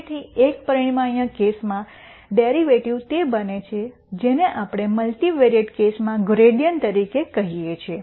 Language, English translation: Gujarati, So, the derivative in a single dimensional case becomes what we call as a gradient in the multivariate case